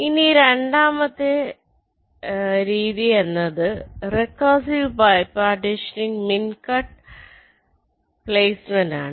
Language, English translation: Malayalam, now the second method is called recursive bipartitioning mincut placement